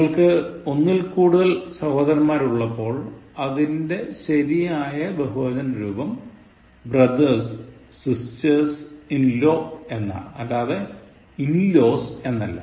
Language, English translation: Malayalam, When you have more than one brother, sister in law the correct plural form is brothers, sisters in law, not in laws